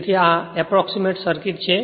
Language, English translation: Gujarati, So, this is your approximate circuit